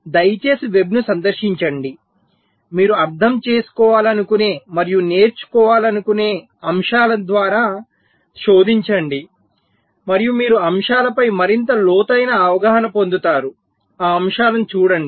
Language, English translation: Telugu, please visit the web, search through the topics you want to understand and learn and you will get much more deep insight into the topics wants to go through them